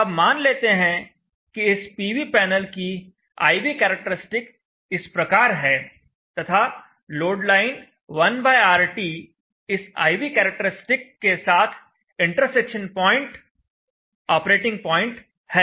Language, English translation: Hindi, Now this IV characteristic of this particular PV panel let us say is like this and the point of intersection of the load line 1/RT line with the IV characteristic is the operating point